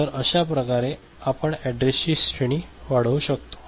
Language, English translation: Marathi, So, that is the way we can increase the address range